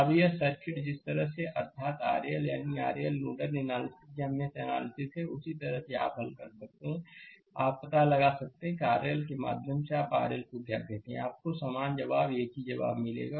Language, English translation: Hindi, Now, this circuit, the way we have earlier learned nodal analysis or mesh analysis, same way you solve and find out what is the your what you call R R L current through R L, you will get the same answer, identical answer right